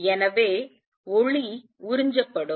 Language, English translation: Tamil, And therefore, light will get absorbed